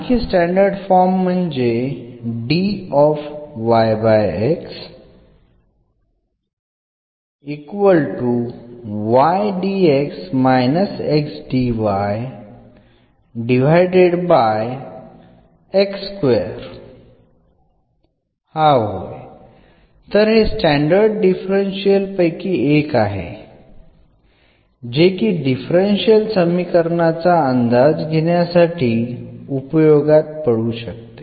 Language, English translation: Marathi, So, this is one of the standard differential which we can use a in guessing the differential equation